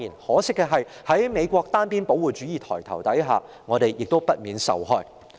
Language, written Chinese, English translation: Cantonese, 可惜，在美國單邊保護主義抬頭下，香港不免受害。, Unfortunately with the rise of unilateral protectionism in the United States Hong Kong will inevitably suffer